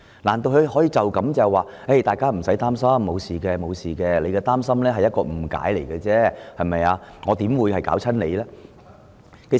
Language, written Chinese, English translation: Cantonese, 難道他打算說道："大家無需擔心，沒事的，你們的擔心只是源於誤解，有關修訂怎麼會影響你們呢？, Your worries are caused by your misunderstanding . How could the amendment proposal affect you? . Is this what he is going to say?